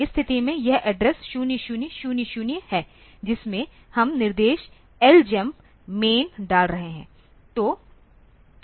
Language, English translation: Hindi, At this at this position this is the address 0000 there we are putting the instruction LJMP main